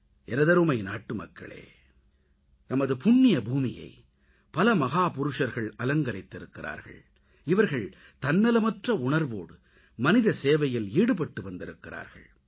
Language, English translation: Tamil, My dear countrymen, our holy land has given great souls who selflessly served humanity